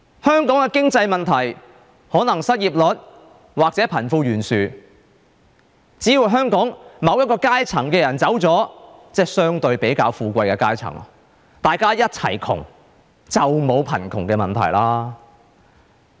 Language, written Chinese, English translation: Cantonese, 香港的經濟問題，可能是失業率或貧富懸殊，只要香港某一個階層的人走了，即相對比較富貴的階層走了，大家一齊窮，就沒有貧窮問題了。, As for our economic problems such as unemployment or the wealth gap she thinks that as long as a certain stratum of Hong Kong people leave that is when the relatively richer people leave all the rest will be poor and there will be no poverty problem